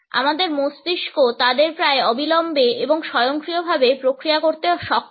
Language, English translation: Bengali, Our brain is capable of processing them almost immediately and automatically